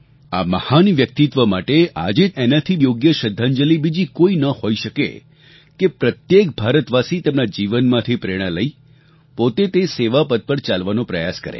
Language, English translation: Gujarati, There cannot be any other befitting tribute to this great soul than every Indian taking a lesson from her life and emulating her